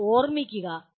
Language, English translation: Malayalam, Please remember that